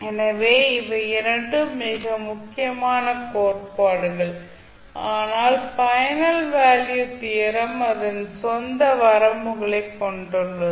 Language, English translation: Tamil, So these two are very important theorems but the final value theorem has its own limitation